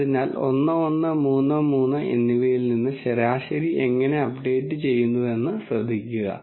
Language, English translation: Malayalam, So, notice how from 1 1 and 3 3 the mean has been updated